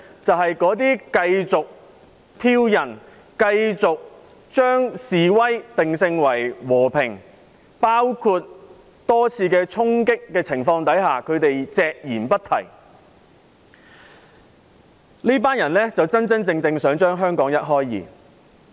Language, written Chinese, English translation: Cantonese, 就是那些繼續挑釁、繼續將示威定性為和平，那些對多次衝擊事件隻言不提的人，這群人真真正正想把香港一開為二。, They are the ones who keep provoking others keep branding the protests as peaceful without mentioning a word about the charging incidents . These people who really want to tear Hong Kong apart